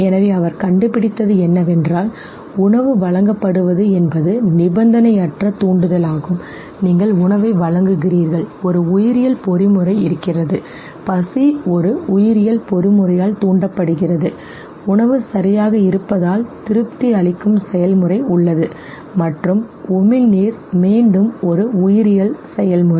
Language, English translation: Tamil, So exactly what he found was that the food is presented, food is the unconditioned stimulus know, you are just presenting food and there is a biological mechanism okay, hunger is triggered by a biological mechanism there is a process of satisfaction that one drives out of having food okay, and salivation is again a biological process